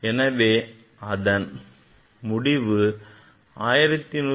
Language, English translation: Tamil, Result will be 1175